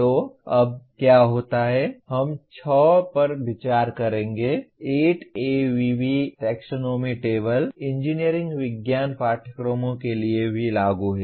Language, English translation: Hindi, So what happens as of now we will consider 6 by 8 ABV taxonomy table is applicable to engineering science courses as well